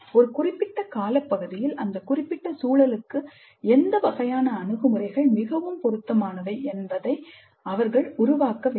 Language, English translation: Tamil, So over a period of time they have to evolve what kind of approaches are best suited for their specific context